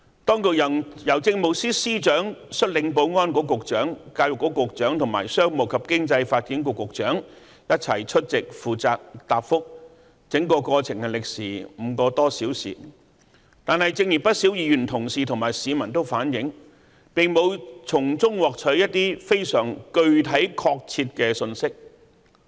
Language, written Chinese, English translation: Cantonese, 當局由政務司司長率領保安局局長、教育局局長和商務及經濟發展局局長一起出席負責答覆，整個過程歷時5個多小時，但正如不少議員同事和市民反映，並沒法從中獲取一些非常具體確切的信息。, The Chief Secretary for Administration took the lead in answering the question and he was assisted by the Secretary for Security the Secretary for Education and Secretary for Commerce and Economic Development . The entire question session lasted for five hours . But as a number of Members and members of the public criticized they had not been abled to obtain concrete and specific message